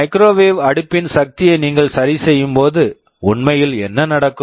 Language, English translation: Tamil, When you adjust the power of the microwave oven what actually happens